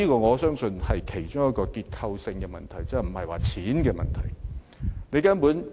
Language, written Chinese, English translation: Cantonese, 我相信這是一個結構性問題，而不是錢的問題。, I believe this is a structural problem rather than a monetary problem